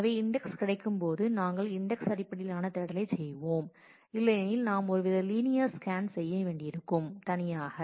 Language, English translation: Tamil, So, when the index is available we will do the index based search otherwise we will have to do some kind of a linear scan alone